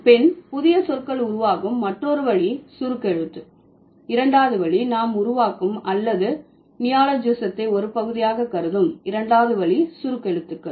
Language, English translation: Tamil, There is a word, the second form or the second way by which we create or we consider neologism as a part is acronyms